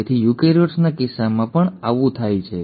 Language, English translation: Gujarati, So that also happens in case of eukaryotes